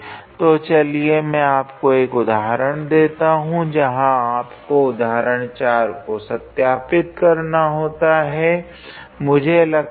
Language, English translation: Hindi, So, let me give you one example where you have to verify example 4; I believe